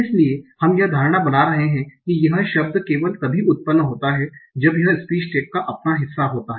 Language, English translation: Hindi, So we are making this assumption that the word is generated only from its own part of speech tag